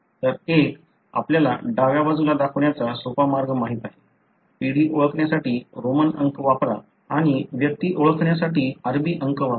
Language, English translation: Marathi, So one, you know simple way to show it is on the left side, use Roman numerals to identify the generation and use Arabic numerals to identify the individuals